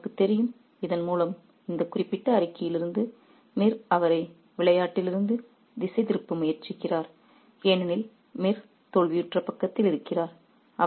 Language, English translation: Tamil, And Mirza rightly knows through this, we can tell from this particular statement that Mir is trying to distract him from the game because Bir is on the losing sides